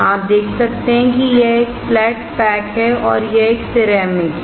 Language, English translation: Hindi, You can see it is a flat pack and it is a ceramic